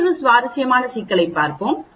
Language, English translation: Tamil, Let us look at another problem another interesting problem